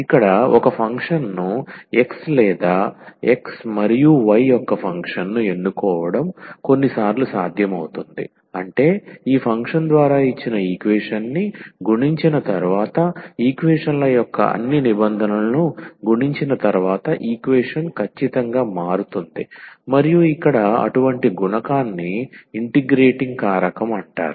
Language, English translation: Telugu, It is sometimes possible to choose a function here x or function of x and y such that after multiplying all the terms of the equations after multiplying this given equation by that function the equations become the equation becomes exact and such a multiplier here is called the integrating factor